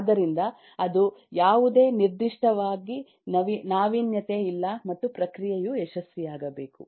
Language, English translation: Kannada, so that is, there is no innovation particularly, and the process must succeed